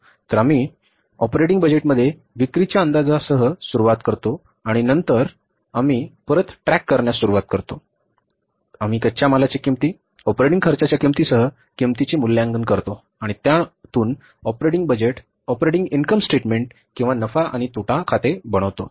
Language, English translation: Marathi, So, we start with the sales estimation in the operating budget and then we start back tracking and then we assess the cost including the raw material cost, operating expenses cost and then we end up means the operating budget ends up with the preparing the operating income statement or the profit and loss account